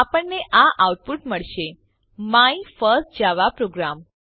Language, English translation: Gujarati, You will get the output My first java program